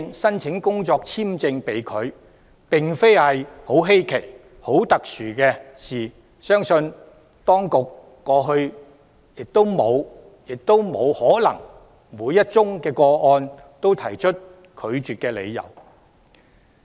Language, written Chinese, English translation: Cantonese, 由此可見，工作簽證申請被拒並非十分稀奇或特殊的事情，相信當局過去亦不可能就每宗個案提出拒絕申請的理由。, It can be seen that rejection of work visa applications is neither unusual nor special and I believe that it is not possible for the authorities to provide explanations for each and every application being rejected